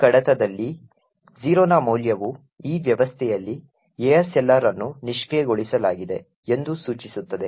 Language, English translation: Kannada, A value of 0 in this file indicates that ASLR is disabled on this system